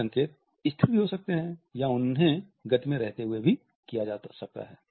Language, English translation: Hindi, They can also be static or they can be made while in motion